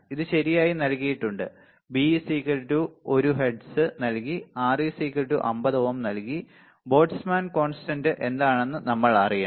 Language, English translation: Malayalam, This is given right 1 hertz is given, 50 ohm is given, we should know what is Boltzmann constant ok